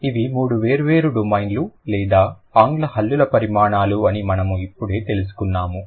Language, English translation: Telugu, So, we just got to know that these are the three different domains or dimensions of English consonant sounds